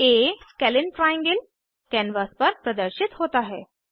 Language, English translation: Hindi, Not a scalene triangle is displayed on the canvas